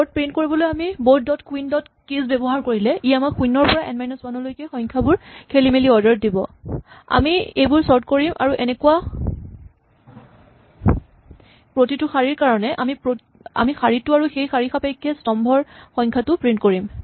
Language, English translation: Assamese, So, we take board dot queen dot keys will give us 0 1 upto N minus 1 in some random order we sort them and for each such row we print the row and the column number for that row